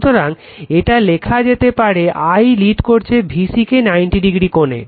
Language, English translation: Bengali, Therefore it is written I leads VC by an angle 90 degree